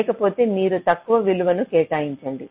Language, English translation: Telugu, if otherwise you assign a lower value